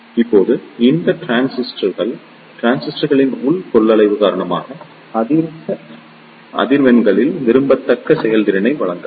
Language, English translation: Tamil, Now, these transistors do not provide desirable performance at higher frequencies due to the internal capacitance of the transistors